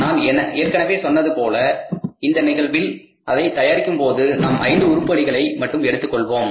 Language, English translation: Tamil, As I told you in the last class, in this case, say when you prepare it, we take only five items